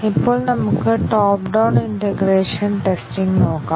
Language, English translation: Malayalam, Now, let us look at the top down integration testing